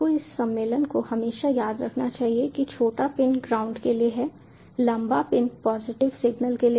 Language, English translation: Hindi, you must always remember this convention: that the smaller pin is for ground, the longer pin is for positive signal